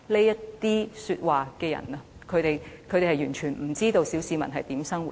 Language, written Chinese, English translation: Cantonese, 說這些話的人完全不知道小市民如何生活。, Those who made such remarks are entirely ignorant of the living of the petty masses